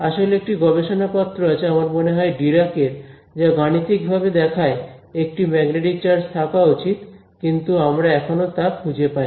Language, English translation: Bengali, In fact, there is a paper by I think Dirac which says sort of mathematically shows that there should be a magnetic charge, but we have not found it ok